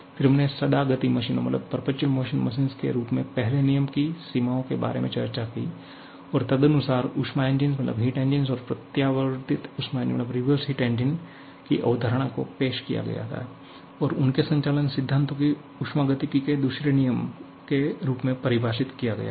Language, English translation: Hindi, Then we have discussed about the limitations of first law in the form of perpetual motion machines and accordingly, the concept of heat engines and reversed heat engines were introduced and their operating principles were defined in terms of the second law of thermodynamics